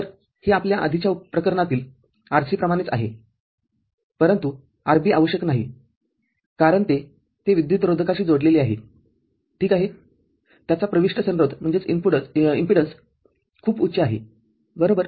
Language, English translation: Marathi, So, this is similar to what we had in earlier case RC, but RB is not required because it is it is connected to an insulator ok, its input impedance is very high right